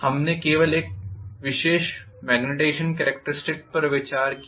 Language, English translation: Hindi, We considered only one particular magnetization characteristics